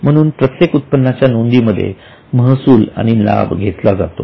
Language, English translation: Marathi, So, all the incomes are into revenue and gains